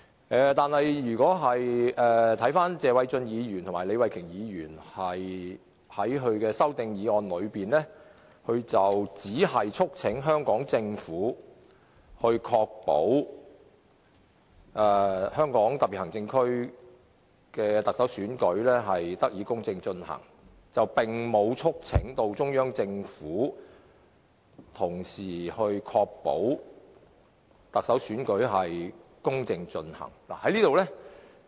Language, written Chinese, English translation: Cantonese, 但是，謝偉俊議員和李慧琼議員在他們的修正案中，只是促請香港政府確保香港特別行政區的特首選舉得以公正進行，並沒有同時促請中央政府這樣做。, However in their amendments Mr Paul TSE and Ms Starry LEE only urge the Hong Kong SAR Government to ensure the fair conduct of the election of the Chief Executive but they do not urge the Central Government to do the same